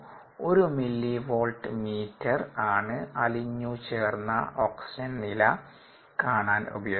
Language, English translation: Malayalam, a millivolt meter was used to read the dissolved oxygen level